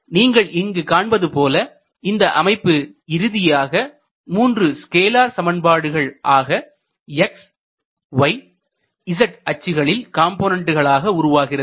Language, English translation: Tamil, We can easily see that it boils down to 3 scalar equations for each for the x y and z components